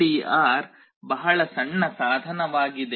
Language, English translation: Kannada, LDR is a very small device